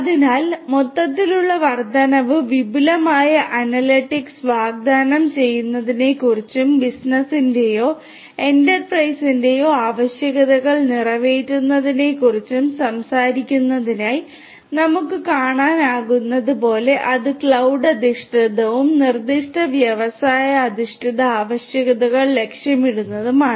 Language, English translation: Malayalam, So, as we can see that uptake overall is talking about offering advanced analytics, catering to the requirements of the business or the enterprise and it is cloud based and targeting in the specific industry based requirements that are there